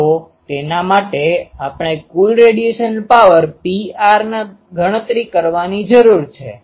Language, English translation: Gujarati, So, for that we need to calculate the total radiated power P r